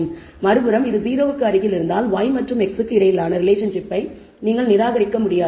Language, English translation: Tamil, On the other hand if it is close to 0 you cannot dismiss a relationship between y and x